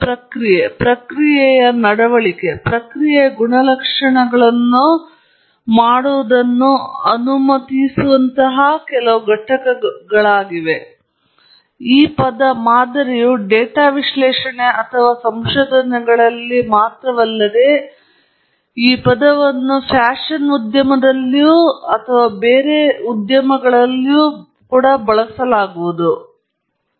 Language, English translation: Kannada, It’s some entity that allows us to emulate a process, the process behavior, process characteristics and so on; this term model is not only used in data analysis or research and so on, you can see this term being used even in fashion industry and elsewhere, or even models of houses and so on